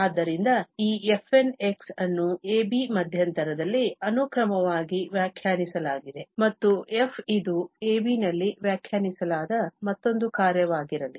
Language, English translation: Kannada, So, this fn is defined as the sequence of the function defined in the interval [a, b] and let f be also an another function which is defined on this [a, b]